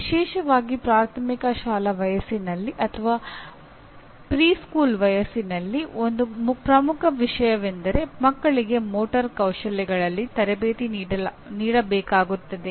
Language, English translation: Kannada, We are involved especially at primary school age or even preschool age one of the major things is the children will have to be trained in the motor skills